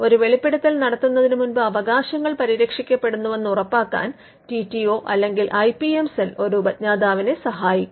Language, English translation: Malayalam, The TTO or the IPM cell would help an inventor to ensure that the rights are protected before a disclosure is made